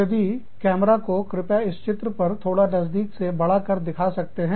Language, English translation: Hindi, If the camera, can please be zoomed on the diagram, a little bit